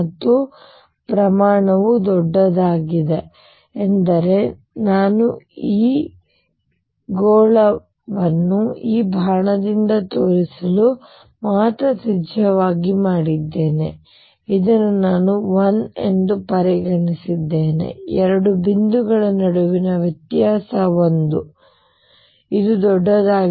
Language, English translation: Kannada, And the scale is huge I mean I made this blue sphere to be radius only to shown by this arrow, but consider this I am considering to be 1, difference between 2 points to be 1, this is going to be huge 10 raise to 20 3